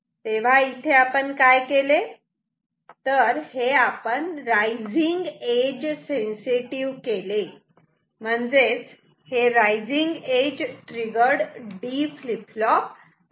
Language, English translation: Marathi, So, what we have made is a rising edge sensitive; a rising edge triggered D flip flop ok